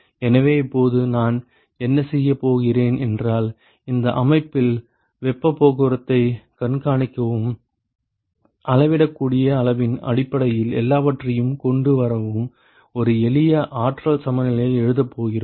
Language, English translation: Tamil, So, now, what I am going to do is, we are going to write a simple energy balance in order to monitor the heat transport in this system and bring everything in terms of the measurable quantity